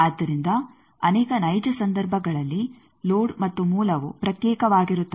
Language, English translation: Kannada, So, in many real cases the load and source are separate away